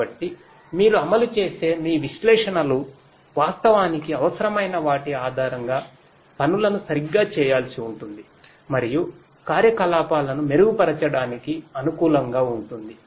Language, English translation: Telugu, So, your analytics that you implement will have to do the things correctly based on what is actually required and is suitable for improving the operations